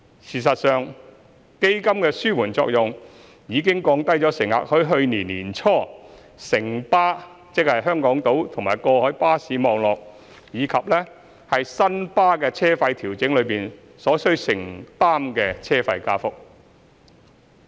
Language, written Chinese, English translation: Cantonese, 事實上，基金的紓緩作用已降低乘客在去年年初城巴，即香港島及過海巴士網絡，以及新巴的車費調整中所需承擔的車費加幅。, In fact the mitigating effect of the dedicated fund has already lowered the rate of fare increase to be borne by the passengers in the fare adjustment of Citybus ie . the Hong Kong Island and cross - harbour bus network and that of New World First Bus which passengers have to shoulder early last year